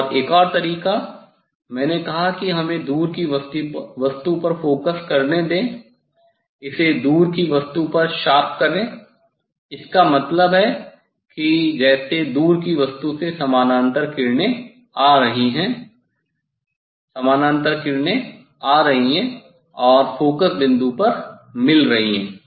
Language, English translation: Hindi, And another way I told that let us this one just focus at the distant object, make it distance object in sharp, so that means that from distance object as a parallel rays are coming, parallel rays are coming and meeting at the focal point means at the cross wire